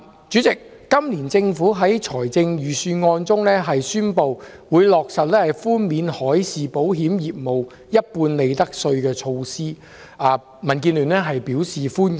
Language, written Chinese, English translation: Cantonese, 主席，政府在本年度財政預算案中宣布，落實寬免海事保險業務一半利得稅的措施，民主建港協進聯盟表示歡迎。, President the Government announces in this years Budget that it will offer a 50 % profits tax concession to the marine insurance industry which is welcomed by the Democratic Alliance for the Betterment and Progress of Hong Kong DAB